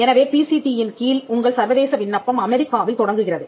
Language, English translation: Tamil, So, your international application under the PCT begins in the United States